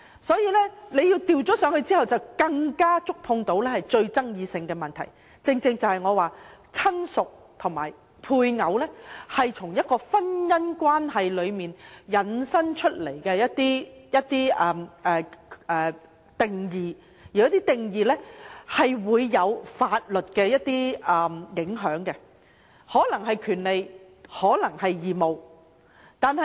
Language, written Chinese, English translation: Cantonese, 所以，若更改"相關人士"的定義，便更加觸碰到最具爭議的問題，即我所說親屬和配偶是從婚姻關係引申出來的一些定義，而這些定義是有法律影響的，可能是權利或義務。, Therefore if the definition of related person is changed the most controversial issue that is the definitions of relative and spouse derived from marital relations will inevitably be touched . Moreover these definitions carry legal implications and rights and obligations might be involved